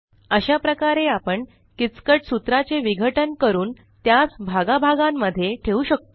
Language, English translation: Marathi, This is how we can break down complex formulae and build them part by part